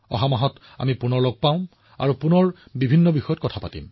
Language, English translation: Assamese, We'll meet again next month, and we'll once again discuss many such topics